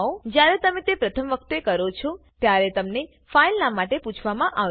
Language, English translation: Gujarati, When you do it the first time, you will be prompted for a file name